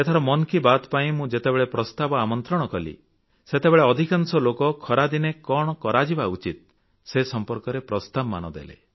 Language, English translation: Odia, So, when I was taking suggestions for 'Mann Ki Baat', most of the suggestions offered related to what should be done to beat the heat during summer time